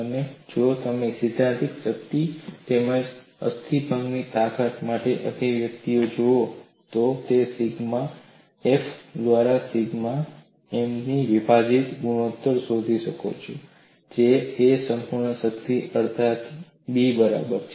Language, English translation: Gujarati, And if you look at the expression for theoretical strength as well as a fracture strength I can find out the ratio of sigma f divided by sigma th, that is approximately equal to b by a whole power half